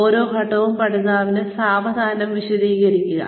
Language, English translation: Malayalam, Slowly explaining each step to the learner